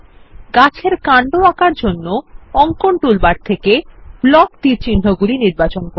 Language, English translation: Bengali, To draw the trunk of the tree, from the Drawing toolbar select Block Arrows